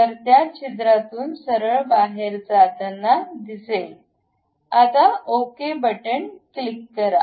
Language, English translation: Marathi, So, it goes all the way out of that hole, click ok